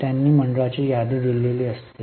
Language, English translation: Marathi, They would have given the list of the board